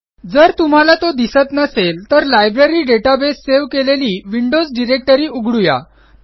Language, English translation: Marathi, We will browse the Windows directory where the Library database file is saved